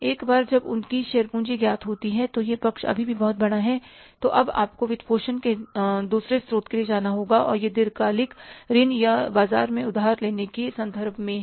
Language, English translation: Hindi, Once that share capital is known and this side is still very big, now you have to go for the second source of financing and that is in terms of the long term loans or borrowing from the market